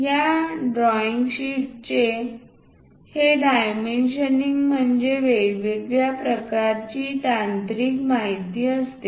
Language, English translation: Marathi, This dimensioning of these drawing sheets are the technical information is of different kinds